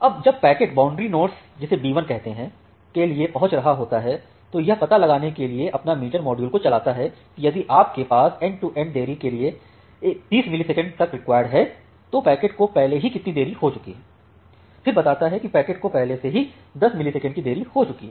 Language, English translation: Hindi, Now when the packet is reaching to say this boundary node say B1, it runs its meter this meter module to find out that if you have a end to end 30 millisecond of delay requirement, what is the amount of delay the packet has already achieved, say at the packet has already achieved, 10 millisecond delay